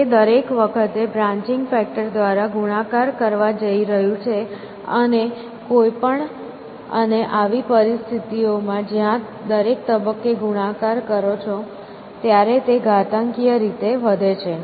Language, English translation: Gujarati, It is going to multiply by the factor of branching factor every time, and any and in such situations where you multiply at a every stage the think tense to go exponentially